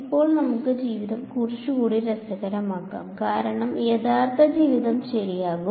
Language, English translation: Malayalam, Now let us make life a little bit more interesting because real life will objects ok